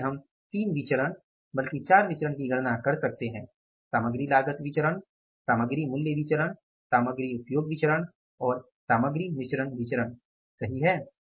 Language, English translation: Hindi, So, we could calculate the three variances, four variances rather, material cost variance, material price variance, material usage variance and the material mixed variance